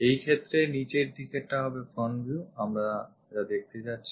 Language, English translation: Bengali, In this case if this is the front view the bottom one what we are going to show